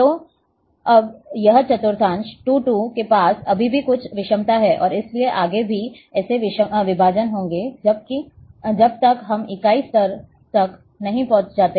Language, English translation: Hindi, So, now, this quadrant 2 2, has is a is still having some heterogeneity, and therefore, there will be further such divisions, till we reach to the unit level